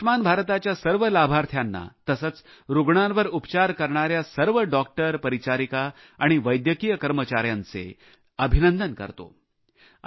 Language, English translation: Marathi, I congratulate not only the beneficiaries of 'Ayushman Bharat' but also all the doctors, nurses and medical staff who treated patients under this scheme